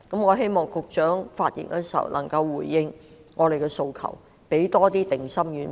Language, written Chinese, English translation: Cantonese, 我希望局長在發言時能回應我們的訴求，給我們多派些定心丸。, I hope the Secretary will respond to our aspirations and give us more assurance in this respect when he speaks